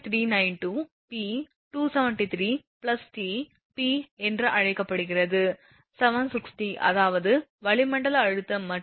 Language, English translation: Tamil, 392 p upon 273 plus t p is given 760 that is atmospheric pressure and t is 30 degree celsius